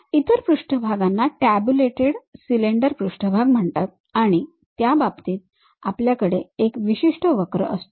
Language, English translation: Marathi, Other surfaces are called tabulated cylinder surfaces; in that case we have one particular curve